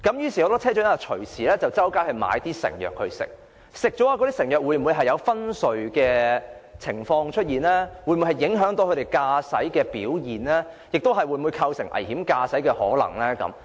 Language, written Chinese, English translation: Cantonese, 於是，很多車長唯有購買成藥服用，但有關的藥物會否導致昏睡、會否影響駕駛表現，甚或構成危險駕駛呢？, Such being the case many bus captains can only buy and take proprietary medicines . But will these medicines cause drowsiness or affect their performance in driving or even constitute dangerous driving?